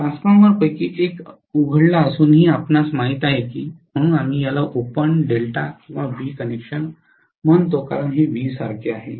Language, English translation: Marathi, You know despite one of the Transformers being opened, so we call this open delta or V connection because this is like a V